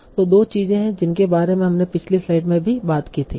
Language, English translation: Hindi, So the two things that we talked about in the previous slide also